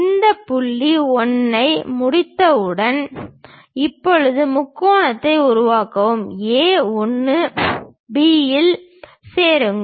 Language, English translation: Tamil, Once done we have this point 1, now join A 1 B to construct the triangle